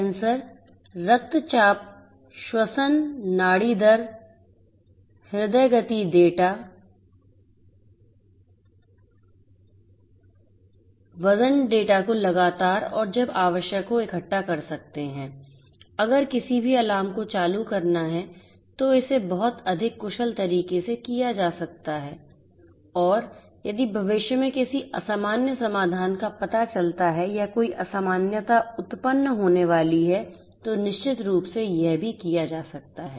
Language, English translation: Hindi, Sensors can collect blood pressure, respiration, pulse rate, health sorry heart rate data, weight data continuously and as and when required, if any alarm has to be triggered this can be done this can be done in a much more efficient manner and this can be done if any abnormal solution is detected or any abnormality is going to arise in the future, predictively this can also be done